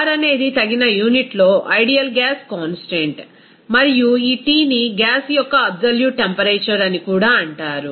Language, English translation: Telugu, R is the ideal gas constant in an appropriate unit, and also this T is called that absolute temperature of the gas